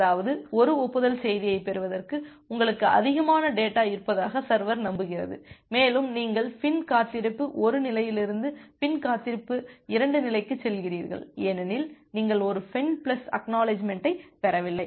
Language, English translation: Tamil, That means the server is believing that it has more data to send you just receive an acknowledgement message and you move to the FIN wait 2 state from FIN wait 1 state, because you have not received a FIN plus ACK